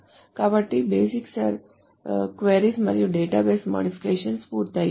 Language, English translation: Telugu, So this does the basic queries and the database modifications are complete